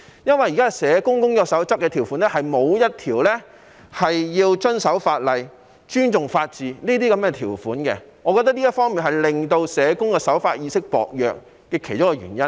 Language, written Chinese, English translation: Cantonese, 因為現時《工作守則》的條款中，沒有一項條款是要求社工須遵守法例、尊重法治，我認為這是其中一個令社工守法意識薄弱的原因。, Since the existing Code of Practice does not include any provision requiring social workers to be law - abiding and respect the rule of law I think this is one of the reasons that the law - abiding awareness of social workers is weak